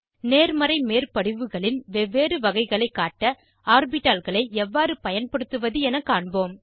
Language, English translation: Tamil, Let us see how to use orbitals to show different types of Positive overlaps